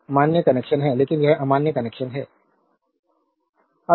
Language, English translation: Hindi, So, this is a valid connection so, but this is invalid connection